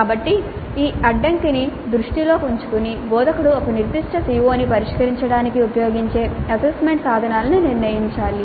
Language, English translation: Telugu, So keeping this constraint in view the instructor has to decide the assessment instruments that would be used to address a particular CO